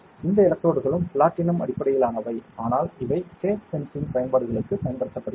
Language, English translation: Tamil, These electrodes are also platinum based, but these are used for gas sensing applications